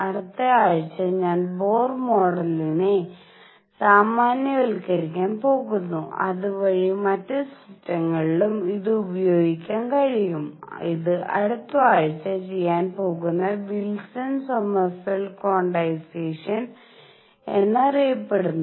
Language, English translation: Malayalam, Next week I am going to generalize Bohr model to, so that it can be applied to other systems also and this is going to be done through what is known as Wilson Sommerfeld quantization that is going to be done next week